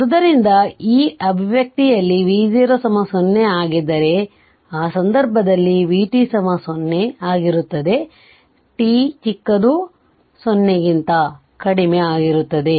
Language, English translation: Kannada, So, if V 0 is equal to 0 in this expression, if V 0 is equal to we put it, in that case v t will be is equal to 0, for t less than 0